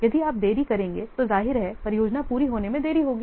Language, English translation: Hindi, If you will delay, then obviously project the completion date will be delayed